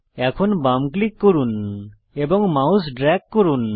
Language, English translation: Bengali, Now left click and drag your mouse